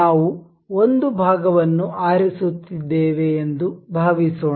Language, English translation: Kannada, Suppose we are selecting a part